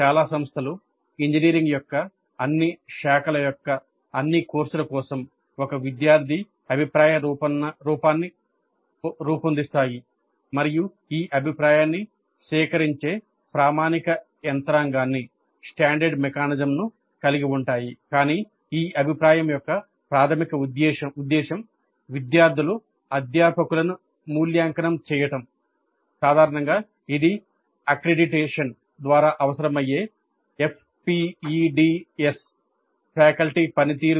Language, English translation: Telugu, Most institutions design one student feedback form for all the courses of all branches of engineering and have a standard mechanism of collecting this feedback